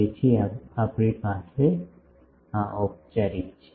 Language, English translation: Gujarati, So, we have formally